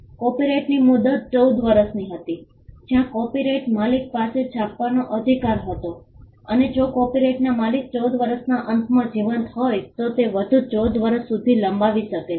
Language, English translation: Gujarati, The term of the copyright was 14 years, where the copyright owner had the soul right of printing and it could be extended by another 14 years if the copyright owner was alive at the end of the 14 years